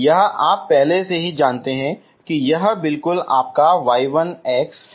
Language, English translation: Hindi, This you already know this is exactly your y 1 of x, okay